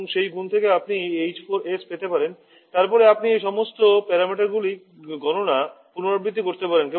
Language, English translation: Bengali, You can get the h4s, then you can repeat the calculation of all these parameters